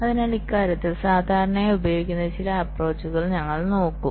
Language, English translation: Malayalam, so we shall be looking at some of the quite commonly used approaches in this regard